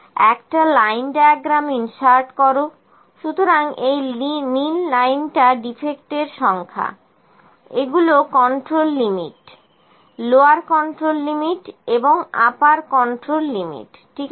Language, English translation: Bengali, Insert a line diagram, so this is my number of defects blue line, control limit, lower control limit and upper control limit, ok